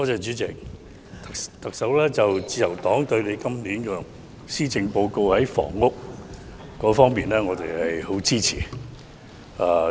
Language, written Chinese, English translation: Cantonese, 主席，自由黨對今年施政報告房屋方面的措施十分支持。, President the Liberal Party strongly supports the housing initiatives espoused in the Policy Address this year